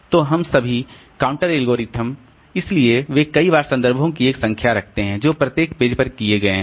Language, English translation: Hindi, So, any all this counting algorithms, so they keep a counter of the number of times, number of references that have been made to each page